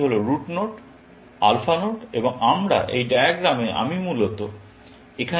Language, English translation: Bengali, This is the route node, alpha node and we are, this diagram, I am basically, repeating it here